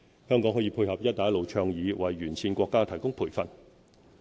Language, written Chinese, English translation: Cantonese, 香港可配合"一帶一路"倡議，為沿線國家提供培訓。, In support of the Belt and Road Initiative Hong Kong can provide training programmes for the Belt and Road countries